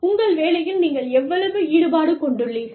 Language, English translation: Tamil, How involved, how engaged, you are, in your job